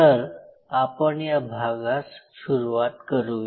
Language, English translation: Marathi, So, let us start with is